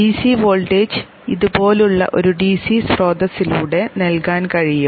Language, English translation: Malayalam, The DC voltage can be given by a DC source such as this